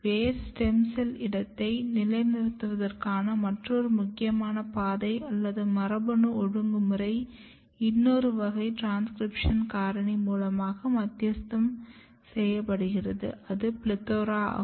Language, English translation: Tamil, Another important pathway or genetic regulation of positioning root stem cell niche is mediated by another class of transcription factor which is PLETHORA